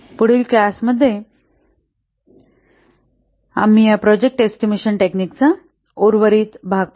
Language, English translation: Marathi, Next class, we will see the remaining parts of this project estimation techniques